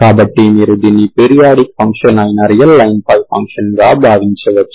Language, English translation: Telugu, So if you think of this as a function over real line which is a periodic function, okay